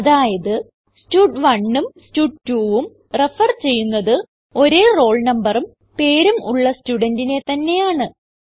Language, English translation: Malayalam, That means both stud1 and stud2 are referring to the same student with a roll number and name